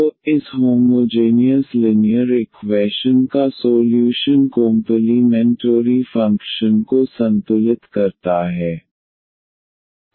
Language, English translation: Hindi, So, solution of this homogeneous linear equations the complementary function